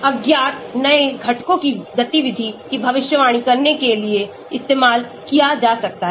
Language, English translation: Hindi, Can be used to predict activity of unknown new components